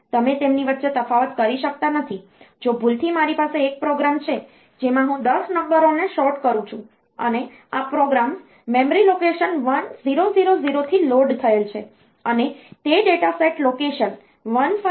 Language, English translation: Gujarati, So, program and data, you cannot distinguish between them like if by mistake I have a program in which I sort, say 10 numbers and these programs is loaded from say memory location 1000 onwards and that data set is there from location 1500 onwards